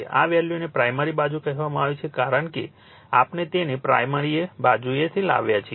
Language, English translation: Gujarati, This/ this value called referred to the primary side because everything we have brought it to the primary side, right